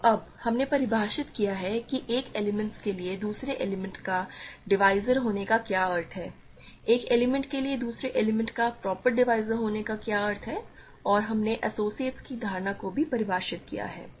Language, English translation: Hindi, So, now, we have defined what it means for an element to be a divisor of another element, what it means for an element to be a proper divisor of another element and we also defined the notion of associates